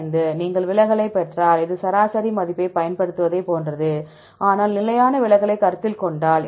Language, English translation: Tamil, 95; if you get the deviation then you can this is the almost similar we use the average value, but if you consider standard deviation